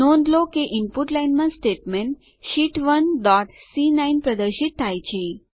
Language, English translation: Gujarati, Notice, that in the Input line the statement Sheet 1 dot C9, is displayed